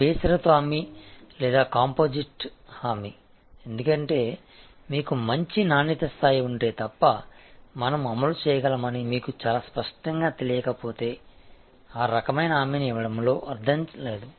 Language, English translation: Telugu, Unconditional guarantee or composite guarantee, because unless you have good quality level, unless you are very clear that we able to executed then there is no point in given that kind of guarantee